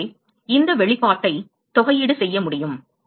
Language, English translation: Tamil, So, we can integrate this the expression